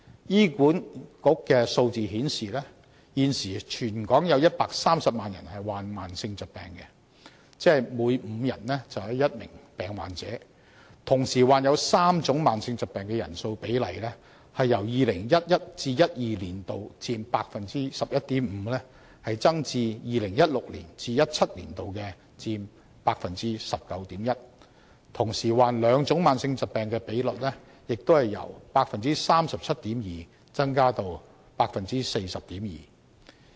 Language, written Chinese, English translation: Cantonese, 醫院管理局的數字顯示，現時全港有約130萬人患上慢性疾病，即每5人便有1名病患者，同時患有3種慢性疾病的人數比例由 2011-2012 年度佔 11.5% 增至 2016-2017 年度佔 19.1%， 同時患兩種慢性疾病的比率也由 37.2% 增至 40.2%。, The Hospital Authoritys statistics show that at present around 1.3 million Hong Kong people suffer from chronic diseases meaning that one out of five people is a chronic disease patient . The rate of people suffering from three chronic diseases increased from 11.5 % in 2011 - 2012 to 19.1 % in 2016 - 2017 and the rate of people with two chronic diseases likewise increased from 37.2 % to 40.2 %